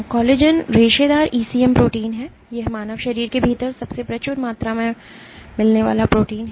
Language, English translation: Hindi, Collagen is the fibrous ECM protein it is the most abundant protein within the human body